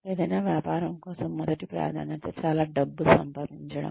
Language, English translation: Telugu, The first priority for any business, is to make lots of money